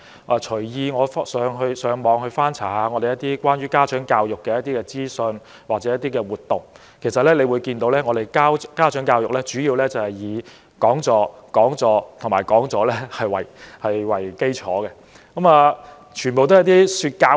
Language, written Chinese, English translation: Cantonese, 我隨意在互聯網上翻查一些關於香港家長教育的資訊或活動，其實可以看到，香港的家長教育主要以講座、講座及講座為基礎，全部都是說教式。, From a casual search on the Internet for information or activities of parental education in Hong Kong I have noticed that it consists mainly of talks talks and talks; and all of the activities are dogmatic